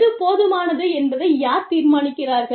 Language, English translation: Tamil, Who decides, what is enough